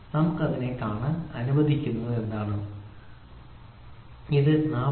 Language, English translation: Malayalam, So, what is that let us see so, it is 40